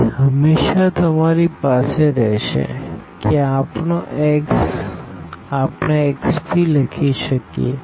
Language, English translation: Gujarati, So, always you will have that this our x we can write down x p